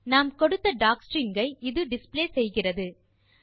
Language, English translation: Tamil, It displays the docstring as we gave it